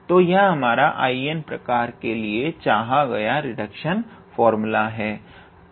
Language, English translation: Hindi, So, this is our so this is our required reduction formula for I n of this type